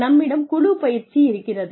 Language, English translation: Tamil, We have team training